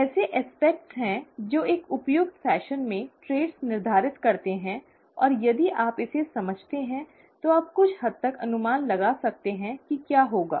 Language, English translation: Hindi, There are, there are aspects that determine traits in an appropriate fashion and if you understand this, it it, you can predict to a certain extent what will happen